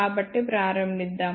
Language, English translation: Telugu, So, let us begin